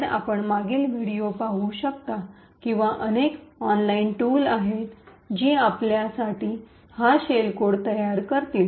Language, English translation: Marathi, So, you could look at the previous video or there are various tools online which would create these shell code for you